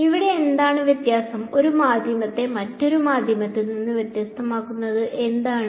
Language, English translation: Malayalam, What is different over here, what differentiates one medium from another medium